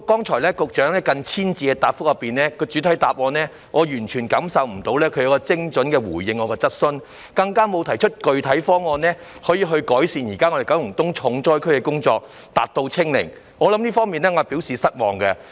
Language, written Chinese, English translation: Cantonese, 對於局長剛才近千字的主體答覆，我完全未能感受到她有精準地回應我的質詢，她更沒有提出具體方案改善現時九龍東成為重災區的情況，達到"清零"，我對此表示失望。, Regarding the lengthy main reply which contains nearly 1 000 words made by the Secretary just now I cannot feel that she has responded precisely to my question in any way . She has not put forth any specific proposals to alleviate the disastrous situation in Kowloon East with a view to achieving zero infection . I am disappointed about this